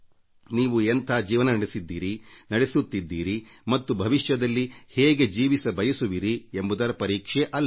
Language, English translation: Kannada, It is not a test of what kind of life have you lived, how is the life you are living now and what is the life you aspire to live